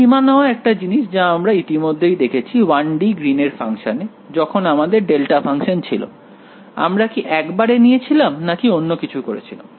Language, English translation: Bengali, Limit is one thing we already seen in the 1 D Green’s function; when we had delta function, did we approach it directly or did we do something else to it